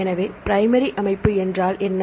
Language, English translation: Tamil, So, what is a primary structure